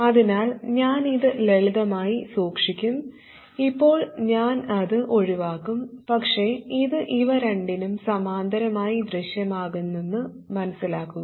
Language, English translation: Malayalam, So I will keep it simple and I will omit it for now, but please realize that it will simply appear in parallel with these two